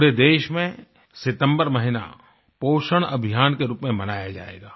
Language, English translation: Hindi, The month of September will be celebrated as 'Poshan Abhiyaan' across the country